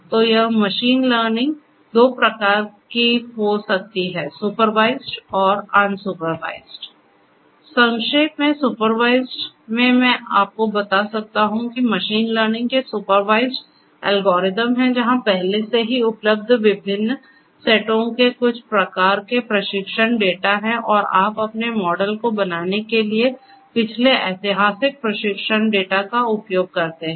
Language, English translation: Hindi, In supervised in a nutshell I can tell you that supervised algorithms of machine learning are the ones where there is some kind of training data of different sets already available and you use that past historical training data in order to come up with your models